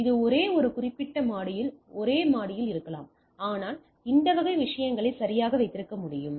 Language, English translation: Tamil, So, this may be in the same floor on the same particular floor and then, but I can have this type of things right